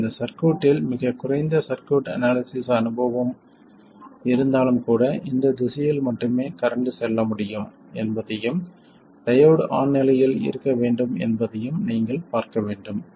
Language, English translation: Tamil, In fact in this circuit with even a very little bit of experience in circuit analysis, you should be able to see that the current can only go in this direction and the diode has to be on